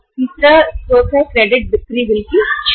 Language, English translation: Hindi, Third one is discounting of the credit sale bills